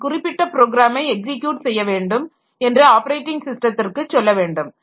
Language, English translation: Tamil, So, I have to tell the operating system, see, I want to execute this particular program